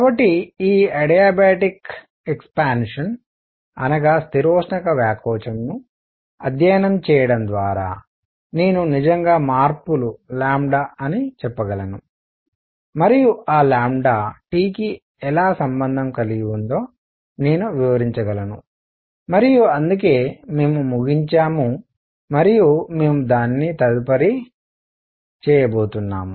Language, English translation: Telugu, So, I can actually by studying this adiabatic expansion I can relate how much is the changes is lambda and how is that lambda related to T and that is what we ended and we are going to do it next